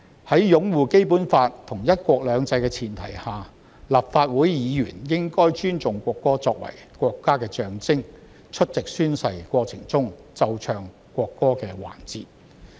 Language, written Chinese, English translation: Cantonese, 在擁護《基本法》和"一國兩制"的前提下，立法會議員應該尊重國歌作為國家的象徵，出席宣誓過程中奏唱國歌的環節。, On the premise of upholding the Basic Law and one country two systems Legislative Council Members should respect the national anthem as a symbol of the country and attend the oath - taking ceremony when national anthem is played and sung